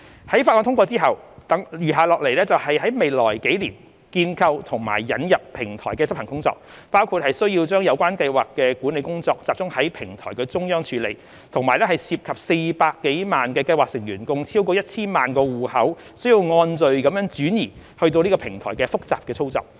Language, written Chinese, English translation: Cantonese, 在法案通過後，餘下來的就是在未來數年建構及引入平台的執行工作，包括需要把有關計劃管理工作集中於平台中央處理，並涉及400多萬計劃成員共超過 1,000 萬個戶口須按序轉移至平台的複雜操作。, After the passage of the Bill what remains is the implementation work in establishing and introducing the platform in the next few years including the need to consolidate the scheme management work for centralized handling via the platform . It also involves the complicated operation of migrating over 10 million accounts of over 4 million scheme members to the platform in an orderly manner